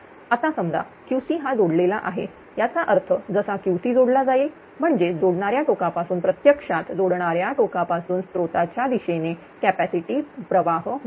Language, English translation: Marathi, Now, suppose this Q c is connected; that means, as soon as this Q c is connected; that means, from that connecting node from this node that actually that capacitive current will flow from the connecting node towards the source